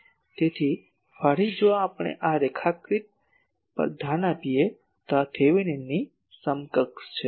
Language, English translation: Gujarati, So, again if we look at these diagram this Thevenin’s equivalent